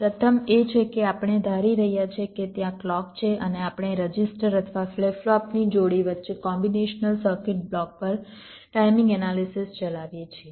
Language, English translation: Gujarati, first is that we assume that there is a clock and we run timing analysis on the combination circuit block between pairs of registers of flip flops